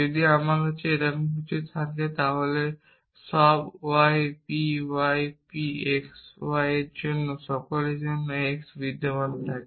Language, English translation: Bengali, If I had something like this there exists x for all for all y p y p x y then I would replace it with p s k 5 y